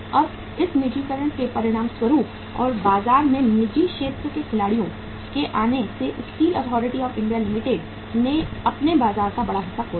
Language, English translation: Hindi, Now as a result of this privatization and coming up of the private sector players in the market Steel Authority of India Limited lost major chunk of their market